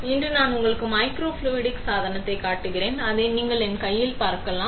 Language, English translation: Tamil, So, today I am showing you microfluidic device, you can see it in my hand